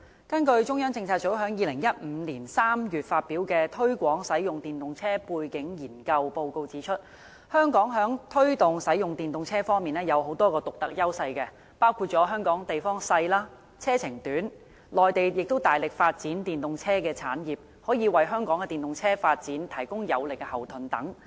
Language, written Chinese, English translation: Cantonese, 根據中央政策組在2015年3月發表的"推廣使用電動車背景研究"報告指出，香港在推動使用電動車方面有多項獨特優勢，包括香港地方小、車程短、內地大力發展電動車產業，可以為香港的電動車發展提供有力後盾等。, According to the Background Study on the Promotion of EVs the Study published by the Central Policy Unit in March 2015 Hong Kong is blessed with various unique advantages in promoting the use of EVs . Such advantages include short commuting journeys resulting from its small size and the Mainlands vigorous development of the EV industry which can provide strong logistic support for the development of EVs in Hong Kong